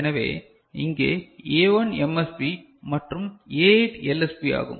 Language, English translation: Tamil, So, here A1 is MSB and A8 is LSB fine